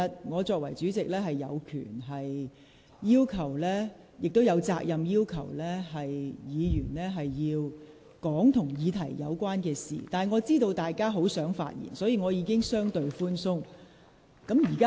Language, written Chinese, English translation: Cantonese, 我作為代理主席，有權亦有責任要求議員論述與議題相關的事宜，但我明白大家很想發言，所以我已處理得相對寬鬆。, In my capacity as Deputy President I have the right and I am duty - bound to request a Member to discuss matters that are relevant to the subject . As I understand that Members are eager to speak I have already adopted a very lenient approach